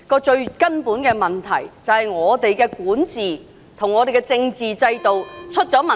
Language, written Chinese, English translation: Cantonese, 最根本的問題，是香港的管治及政治制度有問題。, The root cause indeed lies in the governance and political system of Hong Kong